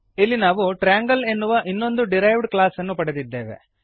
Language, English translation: Kannada, Here we have another derived class as triangle